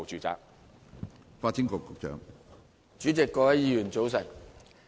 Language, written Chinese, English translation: Cantonese, 主席，各位議員，早晨。, Good morning President and Honourable Members